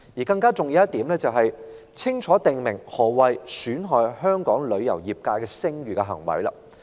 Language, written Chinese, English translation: Cantonese, 更加重要的一點是，我們必須清楚訂明何謂"損害香港旅遊業界的聲譽"的行為。, More importantly we must clearly stipulate what kind of conduct brings the travel industry of Hong Kong into disrepute